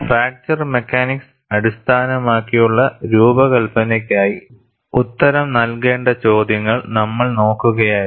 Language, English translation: Malayalam, We were looking at questions to be answered for a fracture mechanics based design